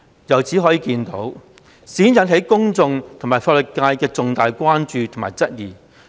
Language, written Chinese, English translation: Cantonese, 由此可見，事件引起公眾及法律界重大關注及質疑。, From this we can see that this incident has aroused grave concern and queries among the public and the legal profession